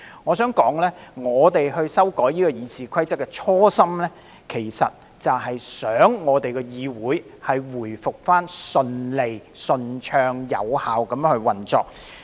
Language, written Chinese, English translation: Cantonese, 我想指出，修訂《議事規則》的初心，其實是希望議會回復順利、順暢及有效地運作。, I would like to point out that the original intention of amending the RoP is to restore the smooth orderly and effective operation of the legislature